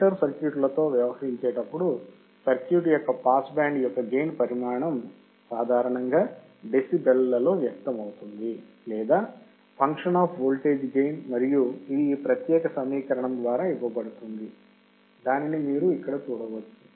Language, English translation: Telugu, When dealing with the filter circuits, the magnitude of the pass band gain of circuit is generally expressed in decibels or function of voltage gain and it is given by this particular equation, which you can see here